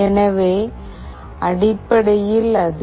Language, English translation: Tamil, So basically, if it is 0